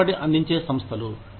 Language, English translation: Telugu, Preferred provider organizations